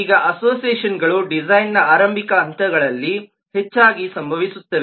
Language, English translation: Kannada, now, associations often happen in all the stages of the design